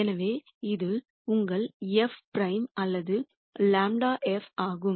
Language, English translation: Tamil, So, that is your f prime or grad of f